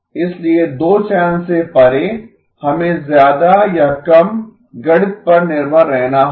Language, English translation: Hindi, So beyond two channel we more or less have to rely on the mathematics